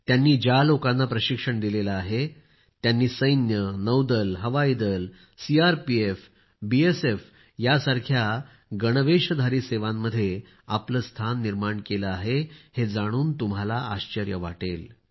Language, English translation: Marathi, You will be surprised to know that the people this organization has trained, have secured their places in uniformed forces such as the Army, Navy, Air Force, CRPF and BSF